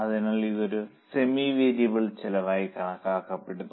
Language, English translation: Malayalam, So, it is considered as a semi variable cost